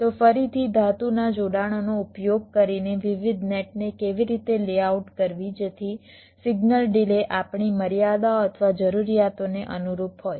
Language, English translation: Gujarati, so again, so how to layout the different nets, using metal connections typically, so that the signal delays conform to our constraints or requirements